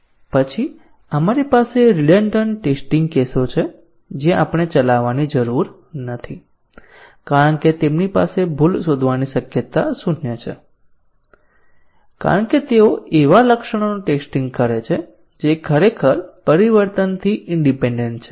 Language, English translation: Gujarati, Then we have the redundant test cases which we need not as well run because they have zero chance of detecting a bug because they test the features which are truly independent of the change